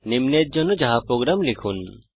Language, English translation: Bengali, Write java program for the following